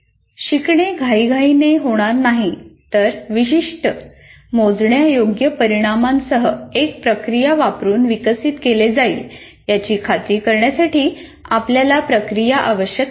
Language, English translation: Marathi, So we need a process to ensure learning does not occur in a haphazard manner, but is developed using a process with specific measurable outcomes